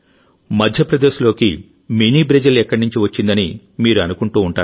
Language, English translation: Telugu, You must be thinking that from where Mini Brazil came in Madhya Pradesh, well, that is the twist